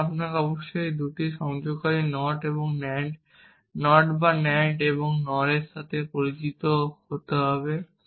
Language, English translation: Bengali, So, you must see familiar with the fact that these two connectives NOT and AND, NOT or NAND and NOR